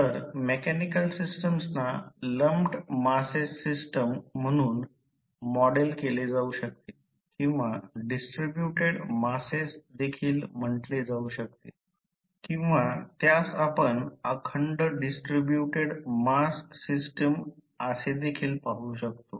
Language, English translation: Marathi, So, the mechanical systems may be modeled as systems of lumped masses or you can say as rigid bodies or the distributed masses or you can see the continuous mass system